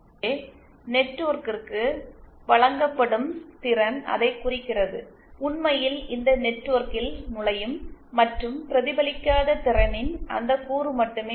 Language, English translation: Tamil, So, power delivered to the network refers to that, only that component of people power which actually enters this network and is not reflected